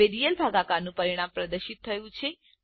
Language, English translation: Gujarati, Now the result of real division is displayed